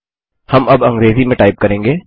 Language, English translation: Hindi, We can now type in English